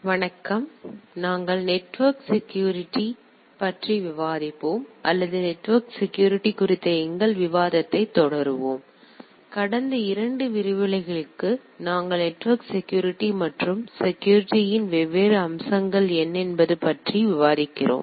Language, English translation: Tamil, So, we will be discussing on Network Security or rather we will be continuing our discussion on network security; for last couple of lectures we are discussing about network security what are the different aspects of the security